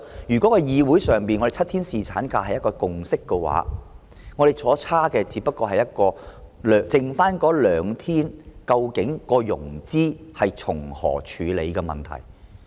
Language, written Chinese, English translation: Cantonese, 如果在議會裏7天侍產假是一個共識，我們相差的，只是就餘下兩天如何處理融資的問題。, If the provision of seven - day paternity leave is a consensus in the Council the only difference among us lies in the issue of funding for the extra two days